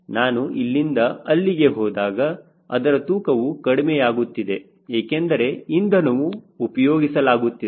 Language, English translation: Kannada, as it is going from here to here, the weight is going on reducing because where is being consumed